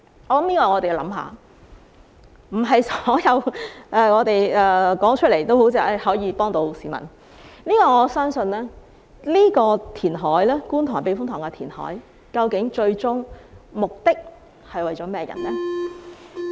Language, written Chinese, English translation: Cantonese, 並非凡是議員提出的議案都可以幫助市民，但究竟觀塘避風塘填海的最終目的是為了甚麼人？, While not all motions proposed by Members can help the public whom exactly is the ultimate purpose of the KTTS reclamation intended to serve?